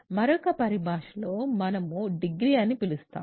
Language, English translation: Telugu, And some terminology: we call degree